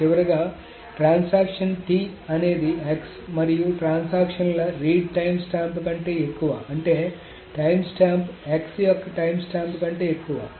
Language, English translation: Telugu, And finally, transaction T is greater than the read timestamp of X and transaction, I mean the times times times times than the right time stamp of x